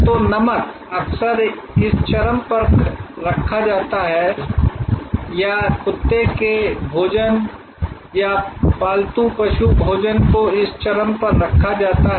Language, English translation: Hindi, So, salt is often placed at this extreme or dog food or pet food is placed at this extreme